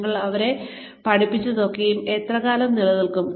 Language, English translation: Malayalam, How long will, whatever you have taught them, stay